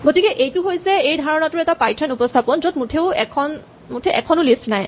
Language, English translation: Assamese, So here is a Python implementation of this idea where we do not have a list at all